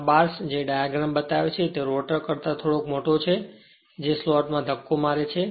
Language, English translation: Gujarati, There the bar was showing in the diagram right, slightly larger than the rotor which are pushed into the slot